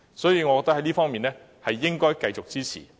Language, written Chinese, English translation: Cantonese, 所以，我覺得這方面應該繼續支持。, So I think we should continue to give support in this respect